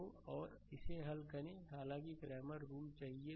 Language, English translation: Hindi, So, and you solve it the; however, you want Clamors rule